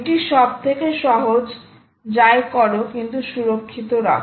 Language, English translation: Bengali, so this is the simplest: do something, but keep it secure